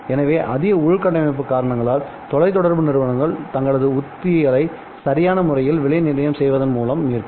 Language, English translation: Tamil, So higher infrastructure costs go for telecom companies which they will then recover by appropriately pricing their strategies